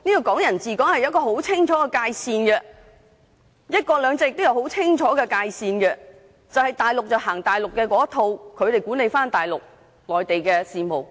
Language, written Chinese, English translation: Cantonese, "港人治港"有很清楚的界線，"一國兩制"也有很清楚的界線，便是大陸奉行大陸的一套來管理大陸的事務。, There is a clear demarcation of the scopes of Hong Kong people ruling Hong Kong and also one country two systems which is the Mainland administers its own affairs in accordance with its own rules and laws